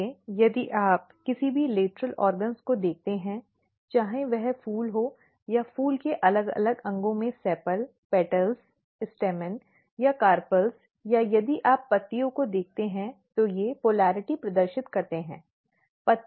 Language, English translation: Hindi, So, if you look any lateral organs whether it is flower or in different organs of the flowers sepal, petals, stamen or carpels or if you look the leaf they display a kind of polarity